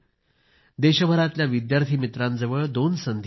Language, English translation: Marathi, Student friends across the country have two opportunities